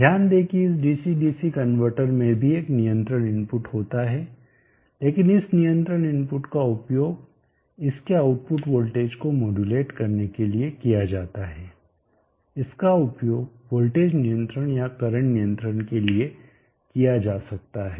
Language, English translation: Hindi, Absorb that this dc dc converter is also having a control input but this control input is used for modulating the output voltage of this can be used for voltage control or current control